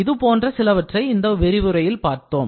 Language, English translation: Tamil, So, these are some of the things which we saw in this lecture